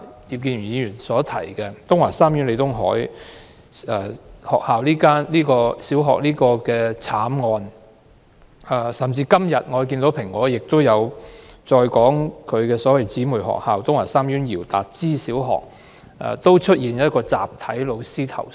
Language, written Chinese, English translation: Cantonese, 葉建源議員剛才提到東華三院李東海小學的慘案，今天《蘋果日報》報道，其姊妹學校東華三院姚達之紀念小學亦有教師集體投訴。, Mr IP Kin - yuen has just mentioned the tragic case in the Tung Wah Group of Hospitals TWGHs Leo Tung - hai LEE Primary School . Today the Apple Daily reported that the teachers in its sister school TWGHs Yiu Dak Chi Memorial Primary School complained collectively